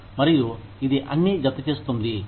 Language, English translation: Telugu, And, it all adds up